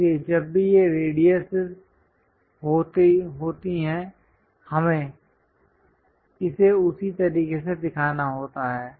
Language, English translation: Hindi, So, whenever this radiuses are there, we have to show it in that way